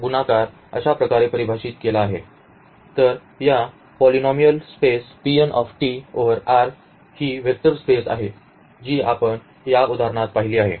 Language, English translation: Marathi, So, this polynomial space P n t over R is a vector space which we have seen in this example